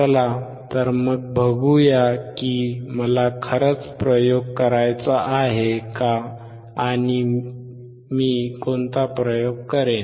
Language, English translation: Marathi, So, let us see if I really want to perform the experiment, and what experiment I will do